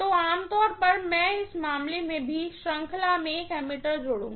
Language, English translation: Hindi, So, normally I will connect an ammeter in series in this case also